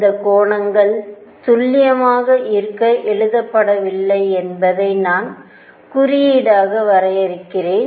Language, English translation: Tamil, I am just drawing these symbolically these angles are not written to be to be precise